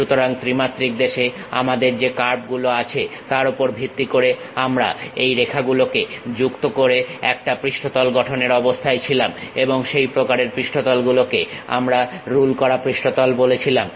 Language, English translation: Bengali, So, based on the curves what we have in 3 dimensional space we were in a position to construct a surface joining by these lines and that kind of surfaces what we call ruled surfaces